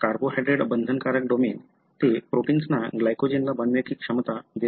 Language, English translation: Marathi, So, carbohydrate binding domain, so it gives the ability for the protein to bind to glycogen